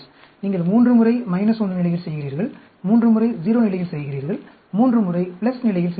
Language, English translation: Tamil, 3 times you are doing at minus 1 level, 3 times you are doing at 0 level, 3 times you are doing at plus level